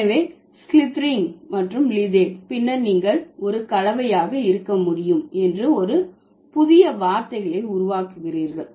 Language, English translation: Tamil, So, slithing and leath and then you are creating a new word that could also be a blend